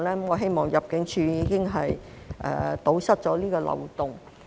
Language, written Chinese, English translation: Cantonese, 我希望入境處已經堵塞了這個漏洞。, I hope that ImmD has already plugged this loophole